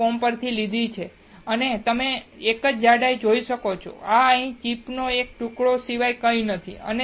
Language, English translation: Gujarati, com and you can see a single die, is nothing but a small piece of this chip here